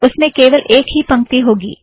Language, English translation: Hindi, It should have one line